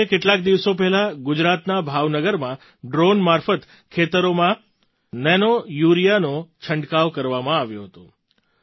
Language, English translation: Gujarati, Like a few days ago, nanourea was sprayed in the fields through drones in Bhavnagar, Gujarat